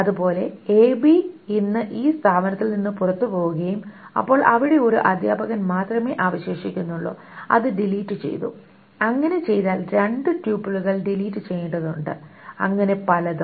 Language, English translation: Malayalam, And similarly, if ABE today lives from this institution and so that there is only one teacher who is deleted, there are two tuples that needs to be deleted and so on so forth